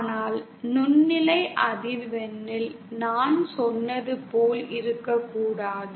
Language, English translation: Tamil, But as I said in microwave frequency that need not be the case